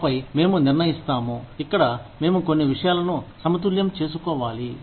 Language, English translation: Telugu, And then, we decide, where we need to balance out, certain things